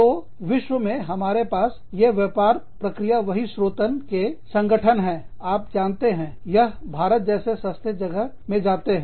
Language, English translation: Hindi, So, we have these, business process outsourcing organizations, in the world, that are, you know, moving into, say, so called cheaper locations, like India